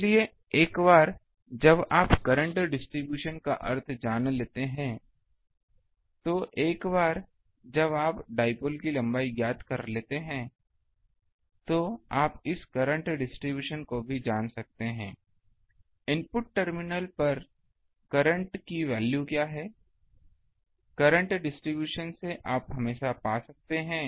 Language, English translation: Hindi, So, once you know the ba current distribution that means, once you know ah the length of the dipole, then you can find this current distribution also you know, at the input terminal whether the current is what is the value of the current, from the current distribution you can always find that